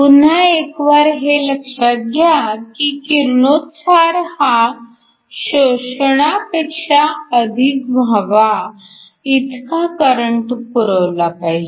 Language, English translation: Marathi, Once again you must supply enough current so that the emission is more than the absorption